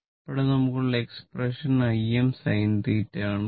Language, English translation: Malayalam, So, i is equal to expression is I m sin theta right